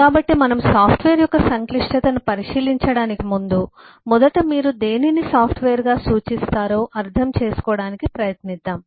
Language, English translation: Telugu, so before we start to take a look into the complexity of a software, let us eh first try to understand what you refer to: a software